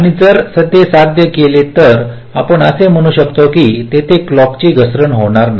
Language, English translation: Marathi, and if it is, if it is achieved, then we can say that there will be no clock skew